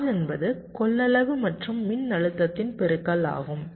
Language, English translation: Tamil, charge is the product of capacitance and voltage, so c multiplied by v